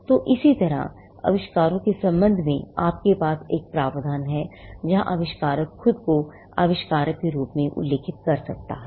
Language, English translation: Hindi, So, similarly, with regard to inventions, you have a provision where the inventor can mention himself or herself as the inventor